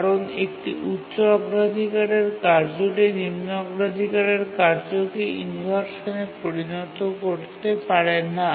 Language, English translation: Bengali, Because a high priority task cannot cause inversion to a low priority task